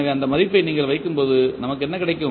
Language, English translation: Tamil, So, when you put that value what we get